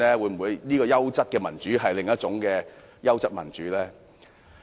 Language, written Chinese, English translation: Cantonese, 黃議員說的優質民主，會否是另一種優質民主？, Is the quality democracy mentioned by Mr WONG a different kind of quality democracy?